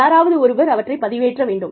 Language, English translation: Tamil, Somebody has to upload them